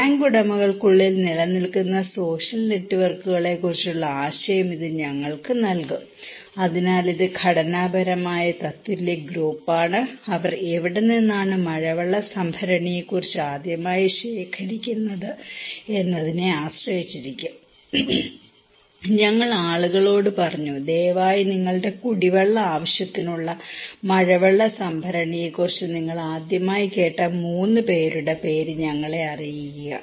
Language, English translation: Malayalam, This will give us the idea of the social networks that prevails within the tank owners so, this is structural equivalent group and for the hearing, from where they collected depends the first time about the rainwater harvesting tank, we said to the people hey, please name us 3 persons from where you first time heard about rainwater harvesting tank for your drinking water purpose